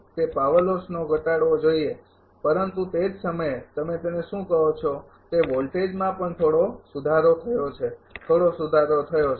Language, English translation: Gujarati, It should reduce the power loss, but at the same time that your; what you call that voltage also being improved little bit improved